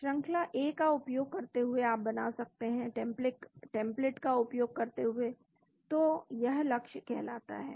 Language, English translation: Hindi, Using the sequence A, you are building, using the template so that it is called target